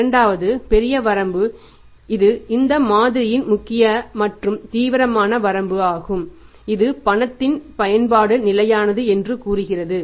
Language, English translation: Tamil, So, this is a second major limitation of this model that steady usage of the cash cannot be there